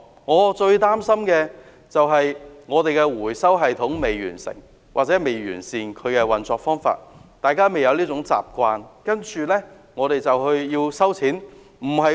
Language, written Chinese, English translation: Cantonese, 我最擔心的是，我們的回收系統或運作方法根本未完善，大家未養成這種習慣，政府便說要徵費。, What I worry most is that our recycling system or operation is still unsatisfactory . We have yet cultivated this habit but the Government is talking about levy